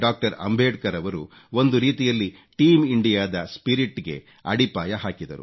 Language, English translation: Kannada, Ambedkar had laid the foundation of Team India's spirit in a way